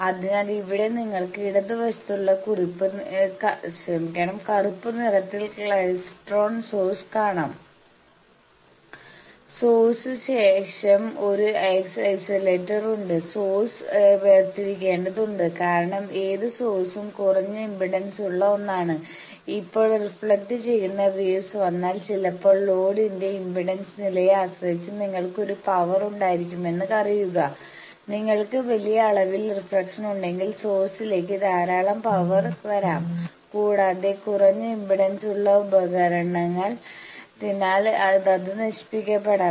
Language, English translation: Malayalam, So, here you can see the left the black one with something that is klystron source, after the source there is an isolator, the source needs to be isolated because any source is a low impedance thing, now, if any reflected wave comes then you know that sometimes depending on the impedance level of the load, you can have a power; you can suddenly if you have sizable amount of reflection lot of power can come to the source, and being a low impedance device it can be destroyed